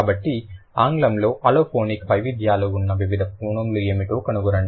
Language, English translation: Telugu, So, find out what are the different phonyms that English has which have allophonic variations